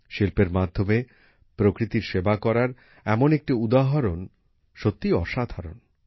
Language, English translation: Bengali, This example of serving nature through art is really amazing